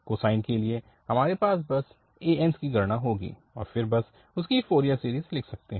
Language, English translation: Hindi, For the cosine one, we will just have the an's and then we can write down its Fourier series